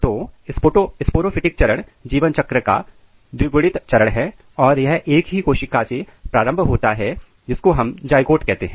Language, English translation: Hindi, So sporophytic phase, basically it is diploid phase of life cycle and it is started from a single cell which is called zygote